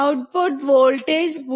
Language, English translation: Malayalam, output voltage is 0